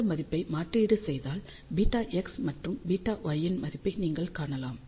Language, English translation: Tamil, So, by putting this we can find the value of beta x and beta y